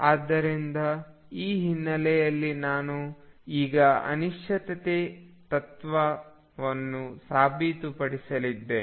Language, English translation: Kannada, So, with this background I am now going to prove the uncertainty principle